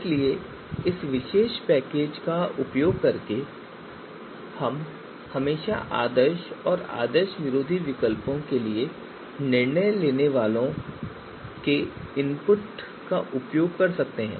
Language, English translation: Hindi, So you know we can always you know using this particular package we can always use decision makers input even for ideal and anti ideal alternatives